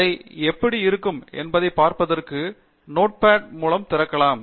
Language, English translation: Tamil, You can open it with Notepad to see how it looks like